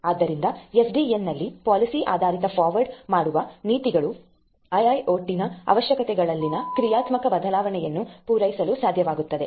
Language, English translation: Kannada, So, rule based forwarding policies in SDN would be able to meet the dynamic change in the requirements of IIoT